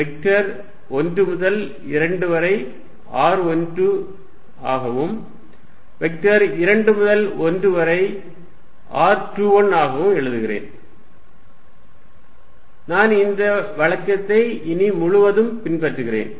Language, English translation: Tamil, So, let me write vector from 1 2 as r 1 2, vector from 2 to 1 as r 2 1, I follow this convention all throughout